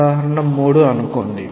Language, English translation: Telugu, Say example 3